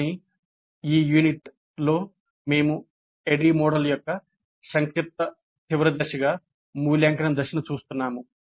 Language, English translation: Telugu, But in this unit we are looking at the evaluate phase as the summative final phase of the ADD model